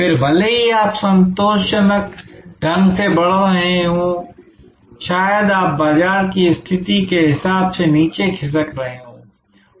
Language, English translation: Hindi, Then, even if you are growing satisfactorily you maybe sliding down in terms of the market position